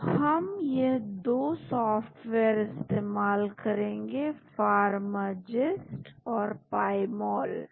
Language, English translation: Hindi, So, we will be using these 2 softwares, Pharmagist and Pymol